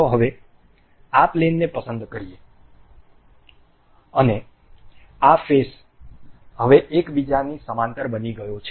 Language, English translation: Gujarati, Now, let us select this plane, and this face now this has become parallel to each other